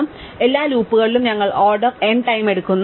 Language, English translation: Malayalam, Therefore, across all the loops we take order m time